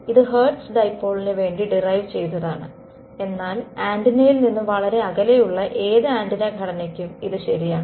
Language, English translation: Malayalam, So, you should keep this in mind this have derived for hertz dipole, but this is true for any antenna structure in general far away from the antenna